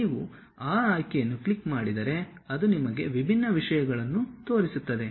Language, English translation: Kannada, You click that option it shows you different things